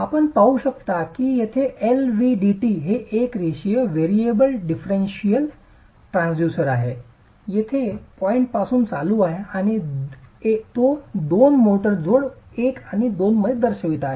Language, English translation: Marathi, You can see that the LVDT here, this is a linear variable differential transducer that is running from the point here to a point here across two motor joints one and two